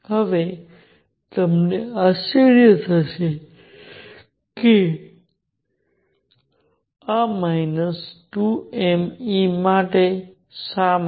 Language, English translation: Gujarati, Now, you may wonder why this minus 2 m E